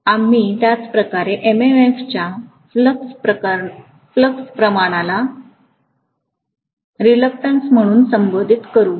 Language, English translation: Marathi, We will similarly call the ratio of MMF to flux as the reluctance